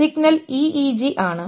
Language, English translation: Malayalam, The signal is the EEG